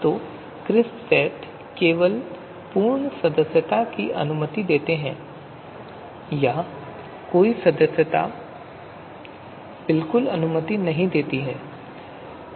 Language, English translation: Hindi, So crisp sets only allow full membership or no membership at all